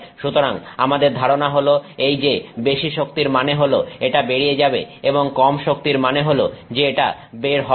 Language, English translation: Bengali, So, our intuition is that more energy means it will go through, less energy means it will not go through